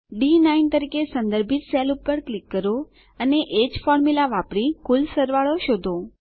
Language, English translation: Gujarati, Click on the cell referenced as D9 and using the same formula find the total